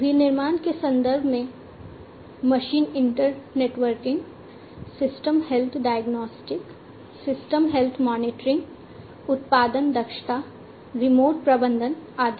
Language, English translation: Hindi, In the context of manufacturing, machine internetworking, system health diagnostics, system health monitoring, production efficiency, remote management and so on